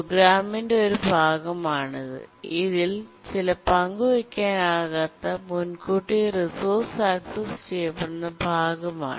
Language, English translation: Malayalam, It's a part of the program in which some shared non preemptible resource is accessed